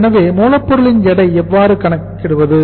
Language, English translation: Tamil, So weight of the raw material will be, how to calculate it